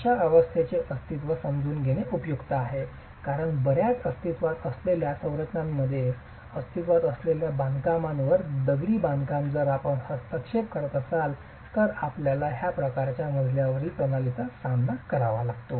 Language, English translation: Marathi, It's useful to understand the existence of such a system because in many existing structures, masonry existing structures, if you are intervening, you might encounter this sort of a flow system